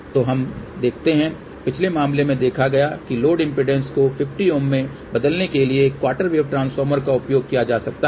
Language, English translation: Hindi, So, let us see now, we had seen in the previous case that a quarter wave transformer can be used to transform the load impedance to 50 Ohm